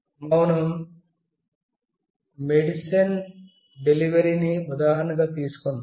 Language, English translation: Telugu, Let us take the example as delivery of medicine